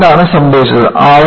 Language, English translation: Malayalam, But, what happened